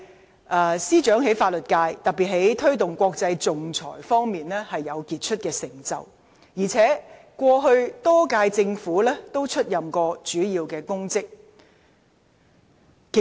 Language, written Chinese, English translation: Cantonese, 她在法律界，特別在推動國際仲裁方面有傑出的成就，在歷屆政府亦曾多次出任主要公職。, In the legal sector she has made remarkable achievement particularly in terms of promoting international arbitration . She had also taken up major public offices for the previous Administrations many times